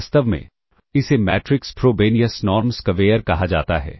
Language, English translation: Hindi, In fact, this is termed as the matrix Frobenius norm square